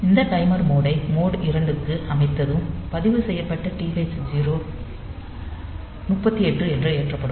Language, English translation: Tamil, So, once we have set this timer mode to mode 2, and then then this TH 0 registered is loaded with 38 h